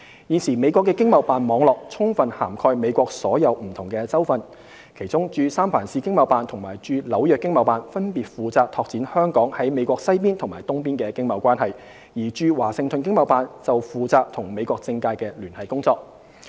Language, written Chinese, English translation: Cantonese, 現時美國的經貿辦網絡充分涵蓋美國所有不同州份，其中駐三藩市經貿辦及駐紐約經貿辦分別負責拓展香港在美國西邊及東邊的經貿關係，而駐華盛頓經貿辦則負責與美國政界的聯繫工作。, The present ETO network in the United States comprehensively covers all the states in the United States with the San Francisco and New York ETOs overseeing the western parts and eastern parts of the United States respectively while the Washington ETO is responsible for the liaison work with the political circle in the United States